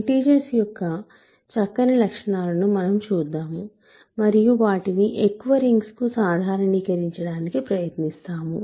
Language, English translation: Telugu, So, we look at the nice properties that integers have and try to generalize them to more rings ok